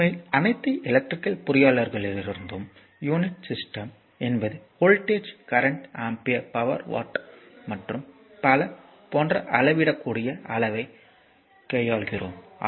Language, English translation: Tamil, So, now system of unit actually in all electrical engineer is this thing we deal with several measurable quantity like quantities like voltage your then current ampere right power watt and so on